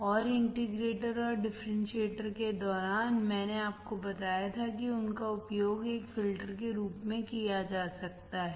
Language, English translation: Hindi, And during the integrator and differentiator I told you that they can be used as a filter